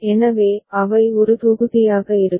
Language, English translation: Tamil, So, they will be one block